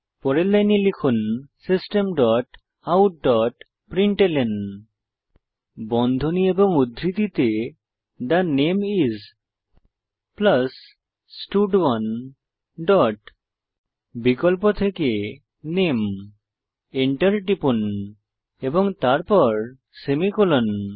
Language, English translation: Bengali, Next line type System dot out dot println within brackets and double quotes The name is, plus stud1 dot select name press enter then semicolon